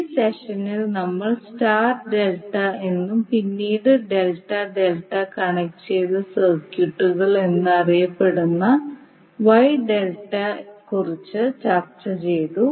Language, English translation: Malayalam, In this session we discussed about the Wye Delta that is popularly known as star delta and then delta delta connected circuits